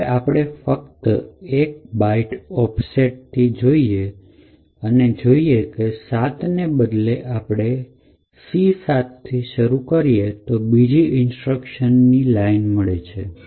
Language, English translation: Gujarati, Now if we just offset our analysis by 1 byte and state that instead of starting from F7 we start with C7 then we get a different sequence of instructions